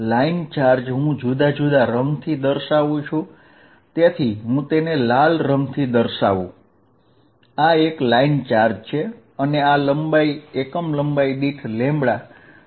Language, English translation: Gujarati, The line charge I will denote by different color, so let me write denote it by red, this is a line charge and let this magnitude be lambda per unit length